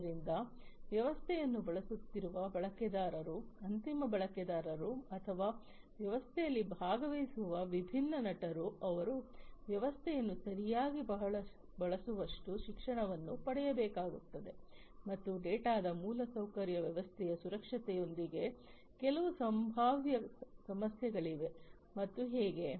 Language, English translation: Kannada, So, the users, the end users, who are using the system or are different actors taking part in the system they will also need to be educated enough to use the system properly, and that there are some potential issues with security of the system of the infrastructure of the data and so on